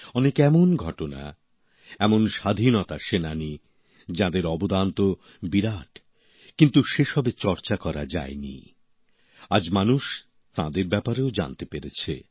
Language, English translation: Bengali, There are many such incidents, such freedom fighters whose contribution have been huge, but had not been adequately discussed…today, people are able to know about them